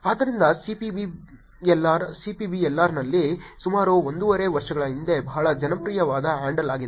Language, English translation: Kannada, So CPBLR, at CPBLR is a handle that got very popular about one and half years before